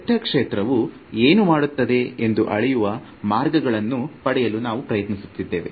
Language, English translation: Kannada, We are trying to get ways of quantifying measuring what a vector field looks like what it does